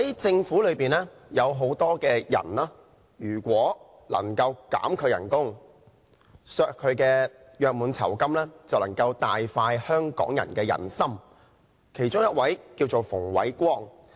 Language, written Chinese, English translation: Cantonese, 政府裏有很多職員，如果他們的薪酬及約滿酬金能夠被削減，就能夠大快香港人的人心，其中一位名為馮煒光。, Hong Kong people will be very pleased if the salaries and gratuity of many staff of the Government one of them being Andrew FUNG can be slashed